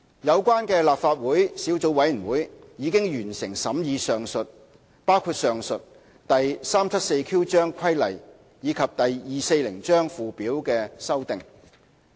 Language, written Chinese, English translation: Cantonese, 有關的立法會小組委員會已完成審議包括上述第 374Q 章規例及第240章附表的修訂。, The relevant Legislative Council subcommittee has finished scrutinizing the legislative amendments including the aforesaid amendments to Cap . 374Q and the Schedule to Cap . 240